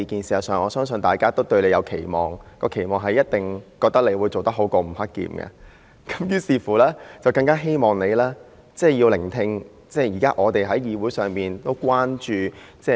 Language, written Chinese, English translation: Cantonese, 事實上，我相信大家都對你有所期望，覺得你一定會做得比吳克儉好，於是更加希望你聆聽我們現時在議會所提出的關注事項。, In fact I believe that everyone has an expectation on you and think that you will definitely do a better job than Eddie NG . Therefore everyone is even more hopeful that you will listen to the matters of concern we raise here at this Council